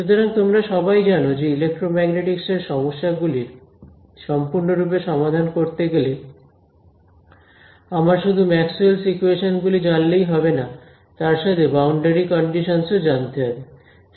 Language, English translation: Bengali, So, all of you know that in the electromagnetics problem to solve it fully; I need to not just know the equations of Maxwell, but also what are the conditions on the boundary ok